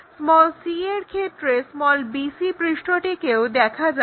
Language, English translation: Bengali, In this case c, bc surface also visible